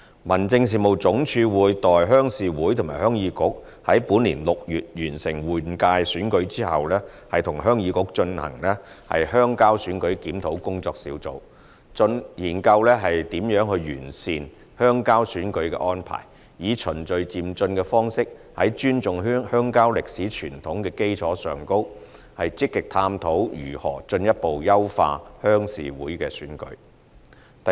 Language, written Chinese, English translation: Cantonese, 民政事務總署會待鄉事會和鄉議局於本年6月完成換屆選舉後，與鄉議局舉行"鄉郊選舉檢討工作小組"會議，研究如何完善鄉郊選舉的安排，以循序漸進的方式，在尊重鄉郊歷史傳統的基礎上，積極探討如何進一步優化鄉事會選舉。, After the completion of RC and HYK elections in June 2019 HAD will conduct the Rural Election Review Working Group Meeting with HYK with a view to exploring how to improve the arrangements for rural election and ways to further enhance the RC elections in a gradual and orderly manner while respecting the history and traditions of the rural community